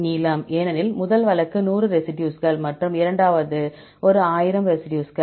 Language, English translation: Tamil, Length, because first case 100 residues and the second one 1,000 residues